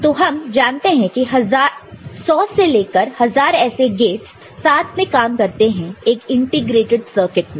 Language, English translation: Hindi, We know that hundreds, thousands you know such a gates are you know working together in an integrated circuit